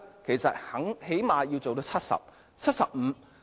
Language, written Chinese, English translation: Cantonese, 最少也可工作至70歲、75歲。, They can at least work until 70 or 75 years old